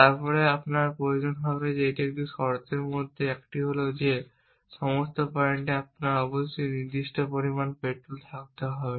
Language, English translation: Bengali, Then one of the things that you will need one of the condition that you will need is that at all points you must have certain amount petrol essentially